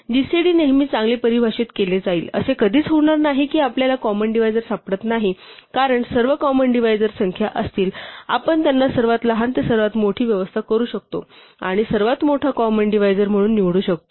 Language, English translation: Marathi, The gcd will always be well defined; it will never be that we cannot find the common divisor and because all the common divisors will be numbers, we can arrange them from smallest to largest and pick the largest one as the greatest common divisor